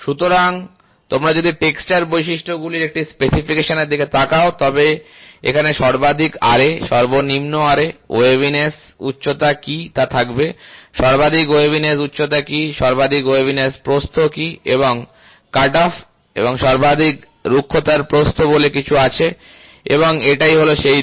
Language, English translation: Bengali, So, if you look at a specification of a texture characteristics, it will be here you will have maximum Ra, minimum Ra, maximum Ra, you will have what is the waviness height, what is the maximum waviness height, what is the maximum waviness width